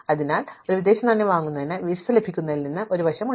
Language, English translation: Malayalam, So, there will be an edge from getting a visa to buying foreign exchange